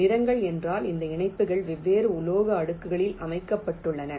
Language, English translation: Tamil, colors means these connections are laid out on different metal layers